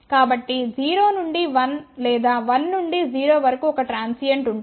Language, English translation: Telugu, So, there will be a transient from 0 to 1 or 1 to 0